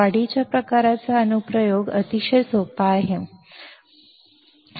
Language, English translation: Marathi, The application is very simple in enhancement type; there is no channel